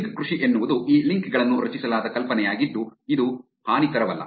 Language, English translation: Kannada, link farming is the idea in which these links are created which are not benign ones